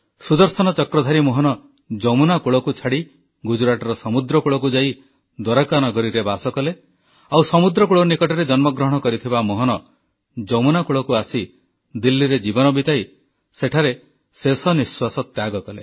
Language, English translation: Odia, The Sudarshan Chakra bearing Mohan left the banks of the Yamuna for the sea beach of Gujarat, establishing himself in the city of Dwarika, while the Mohan born on the sea beach reached the banks of the Yamuna, breathing his last in Delhi